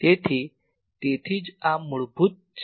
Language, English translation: Gujarati, So, that is why this is fundamental